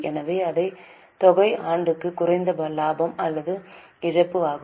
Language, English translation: Tamil, So same amount is a profit or loss for the year